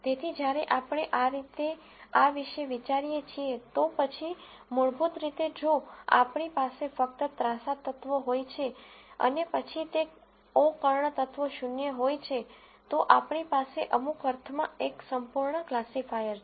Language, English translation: Gujarati, So, when we think about this this way, then basically if we have only the diagonal elements and the o diagonal elements are zero then, we have a perfect classifier in some sense